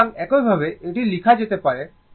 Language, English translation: Bengali, So, same way it can be written